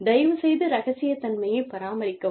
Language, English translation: Tamil, And, that is, maintenance of confidentiality